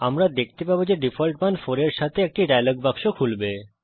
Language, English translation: Bengali, We see that a dialog box open with a default value 4